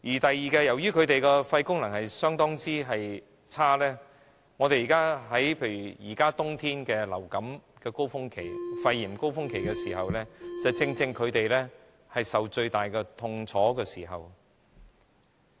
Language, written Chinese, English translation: Cantonese, 此外，由於他們的肺功能相當差，在冬天流感、肺炎高峰期時，正正是他們受到最大的痛楚之時。, Besides due to their inferior lung functions they suffer the greatest pain during the winter surge of influenza and pneumonia